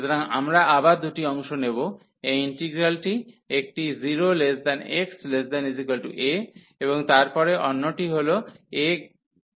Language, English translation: Bengali, So, we will take into two parts again this integral one is 0 to a, and then the other one is a to infinity